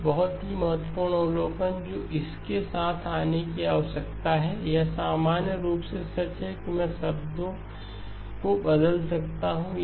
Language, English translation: Hindi, A very important observation that needs to come along with this one is this true in general that I can interchange the word